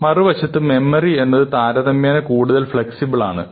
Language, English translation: Malayalam, Memory, on the other hand, is something, which is relatively more flexible